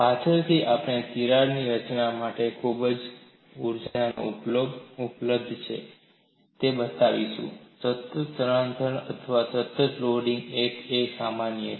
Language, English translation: Gujarati, Later on, we will show whatever the energy available for crack formation, in constant displacement or constant loading is one and the same